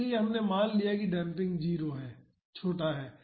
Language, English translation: Hindi, So, we assumed that damping is 0 is small